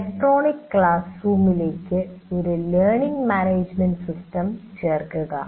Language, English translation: Malayalam, Now to the electronic classroom you add another one a learning management system